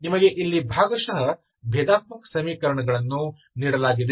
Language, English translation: Kannada, And you say that this is a linear partial differential equation